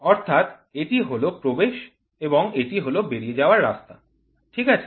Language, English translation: Bengali, So, this is the in and this is the out, ok, this is the out